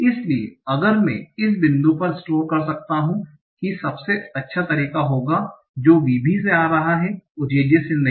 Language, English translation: Hindi, So if I can store at this point that the best phase coming from VB and not from J